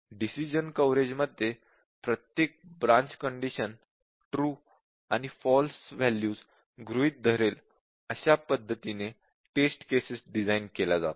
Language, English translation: Marathi, In decision coverage, test cases are designed such that each branch conditions assumes true and false values